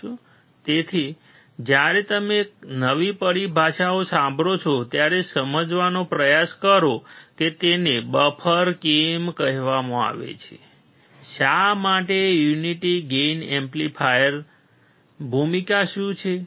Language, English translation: Gujarati, Right, so, when you listen to new terminologies, try to understand why it is called buffer, why unity gain amplifier, what is the role